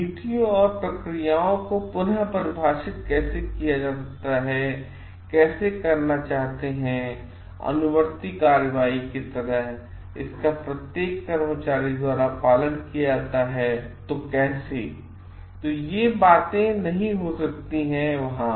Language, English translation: Hindi, How to reframe may be the policies and procedures, how to like seek how to follow up like, it is followed by every employee how to; so, these things may not be there